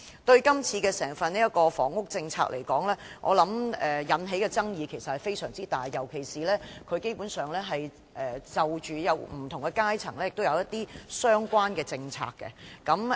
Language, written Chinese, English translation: Cantonese, 整份施政報告，以房屋政策來說，引起的爭議其實非常大，尤其是她基本上就不同的階層制訂相關的政策。, The whole Policy Address has actually aroused a great controversy when it comes to the housing policy especially since she has basically formulated relevant policies for different social strata